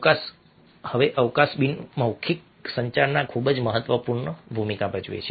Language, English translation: Gujarati, now, space plays a very significant role in non verbal communication